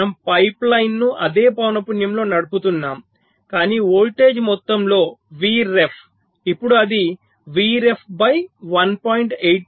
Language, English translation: Telugu, we run the pipe line at the same frequency but the voltage, initially it was v ref, now it has become v ref by one point eight, three